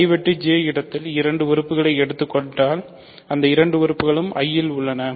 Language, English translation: Tamil, If you take two things in I intersection J those two things are in I